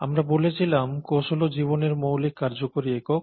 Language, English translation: Bengali, ” As we said, cell is the fundamental functional unit of life